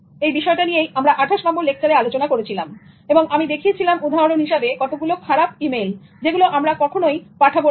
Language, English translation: Bengali, We followed the same thought in lecture 28 and then I went to the next level of showing examples of bad emails, how not to send emails